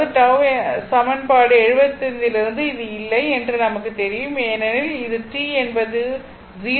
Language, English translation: Tamil, So, from equation 75, we know this no because it was t is equal to not zero t t is equal t t is equal to t 0 that is 4 second